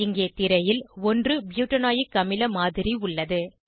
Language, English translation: Tamil, This is the model of 1 butanoic acid on screen